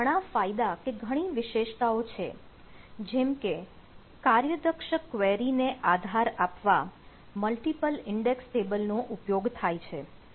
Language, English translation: Gujarati, so there are several advantages or several features or characteristics, like: multiple index tables are used to support efficient query